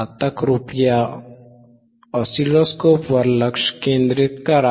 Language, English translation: Marathi, Now please focus on the oscilloscope